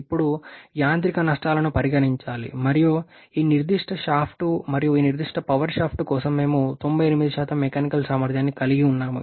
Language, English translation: Telugu, Now, the mechanical losses need to be considered and we have a mechanical efficiency of 98% for this particular shaft and also for this particular power shaft is also have to consider